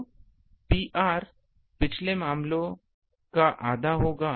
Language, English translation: Hindi, So, P r will be half of the previous case